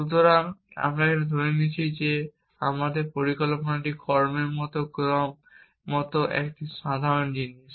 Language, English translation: Bengali, So, we have assumed here that our plan is a simple thing like sequence of action